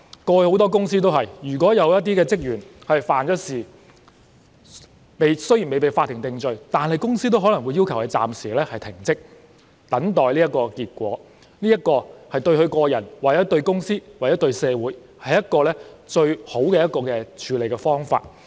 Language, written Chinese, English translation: Cantonese, 過去很多公司也是這樣做的，如果有職員犯事，雖然未被法庭定罪，但公司也可能要求該人暫時停職等候結果，這對個人、公司或社會也是最好的處理方法。, In the past many companies adopted such an approach . If a staff member committed a crime the company concerned might require him or her to suspend duties even before he or she was convicted by the court . This is the best approach for individuals companies and the community at large